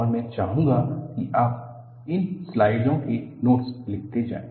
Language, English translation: Hindi, And, I would like you to take down the notes of these slides